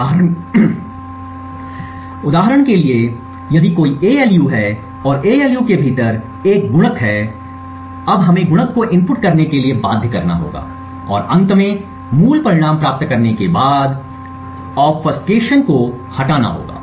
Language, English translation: Hindi, For example, if there is an ALU and within the ALU there is let us say a multiplier now we would require to obfuscate the inputs to the multiplier and remove the obfuscation at the, after the end so that the original results are obtained